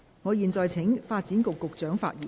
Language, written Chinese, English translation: Cantonese, 我現在請發展局局長發言。, I now call upon the Secretary for Development to speak